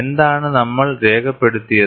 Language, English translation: Malayalam, And what is that we have recorded